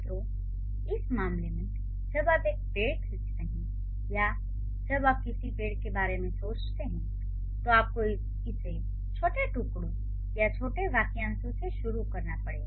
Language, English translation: Hindi, So, in this case, when you draw a tree or when you think about a tree, you have to start it with the tiny chunks or the small phrases